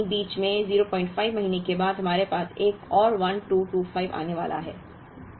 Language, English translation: Hindi, But, somewhere in between we will get the 1225 that comes in